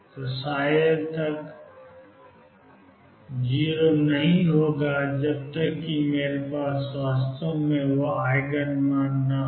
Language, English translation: Hindi, So, psi L is not going to be 0 until I really have that Eigen value